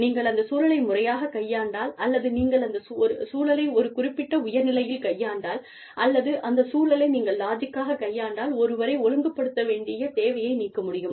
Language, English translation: Tamil, If you deal with that situation, properly, if you deal with that situation, with a level head, if you deal with that situation, logically, the need to discipline, anyone, could be removed